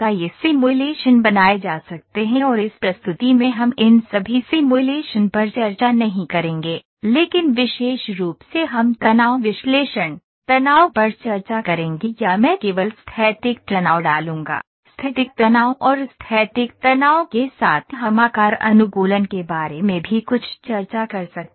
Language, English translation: Hindi, These simulations can be created and in this presentation we will not discuss all these simulation, but specifically we will discuss stress analysis, stress or I would put static stress only, static stress and along with static stress we can also discuss some about the shape optimisation